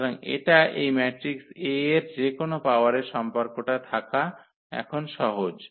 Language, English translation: Bengali, So, it is easy now to find having this relation any power of the matrix A